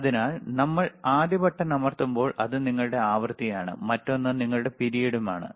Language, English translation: Malayalam, So, when we press the first button, first is your frequency, and another one is your period